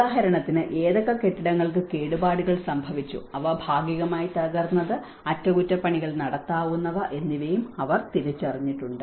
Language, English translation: Malayalam, And for instance, they have also identified which of the buildings have been damaged, which are partially damaged, which could be repaired